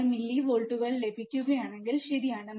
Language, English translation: Malayalam, 6 millivolts, right